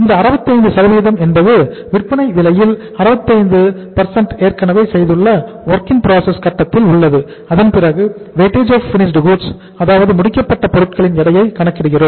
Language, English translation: Tamil, Means 65% of the selling price is uh is at the WIP stage we have already incurred and then we calculate the next weight that weight is Wfg duration of the or weight of the finished goods